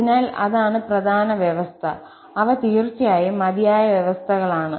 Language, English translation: Malayalam, So, that is the important condition and those are sufficient conditions indeed